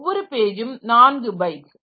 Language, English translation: Tamil, So, each page is of 4 byte